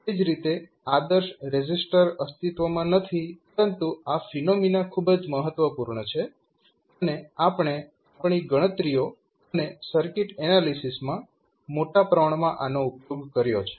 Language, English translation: Gujarati, Similarly, ideal resistor does not exist but as these phenomena are very important and we used extensively in our calculations and circuit analysis